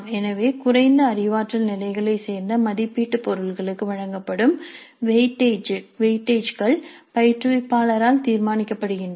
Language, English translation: Tamil, So the weightage is given to the assessment items belonging to the lower cognitive levels is decided by the instructor